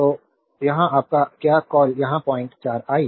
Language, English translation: Hindi, So, here your what you call here 0